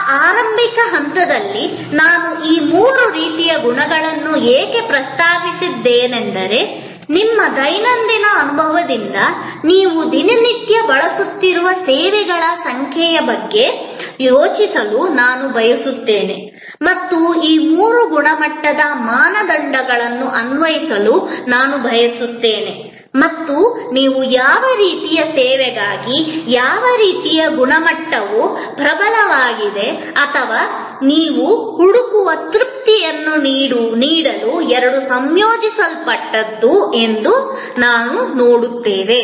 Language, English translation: Kannada, Why am I mentioning these three types of qualities at this early stage is because, I would like you to think about from your everyday experience, the number of services that you are daily using and I would like you to applying these three quality criteria and you will see that for what kind of service, which kind of quality was the dominant or which two combined to give you the satisfaction that you look for